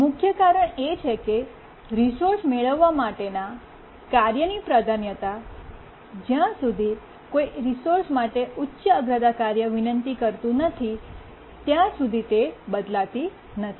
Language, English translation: Gujarati, The main reason is that the priority of a task on acquiring a resource does not change until a higher priority task requests the resource